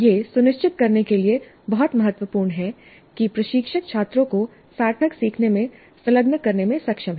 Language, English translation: Hindi, This is very important to ensure that the instructor is able to engage the students in meaningful learning